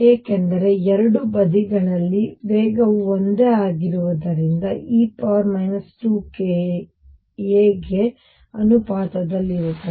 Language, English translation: Kannada, Because the velocity is the same on both sides comes out to be proportional to e raise to minus k 2 k a